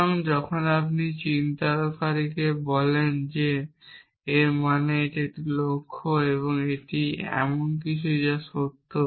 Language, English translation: Bengali, So, when you have marker called show it means, it is a goal it is not something which is true